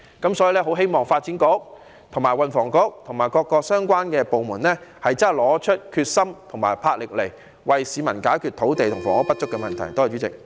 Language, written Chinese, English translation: Cantonese, 我很希望發展局和運輸及房屋局，以及各個相關部門真的拿出決心和魄力，為市民解決土地和房屋不足的問題。, I very much hope that the Development Bureau the Transport and Housing Bureau as well as the relevant departments will demonstrate their determination and courage in resolving the problem of shortage of land and housing supply for members of the public